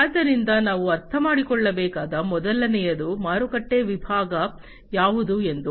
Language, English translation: Kannada, So, the first one that we should understand is what is the market segment